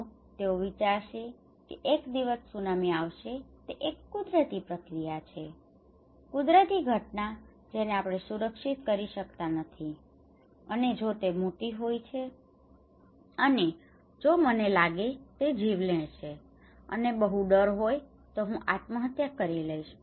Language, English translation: Gujarati, They will think okay tsunami will come one day it is a natural act, natural phenomena we cannot protect and if it is too big and if I have lot of fear the only thing I can do is I can surrender it is like committing suicide I am a fatalist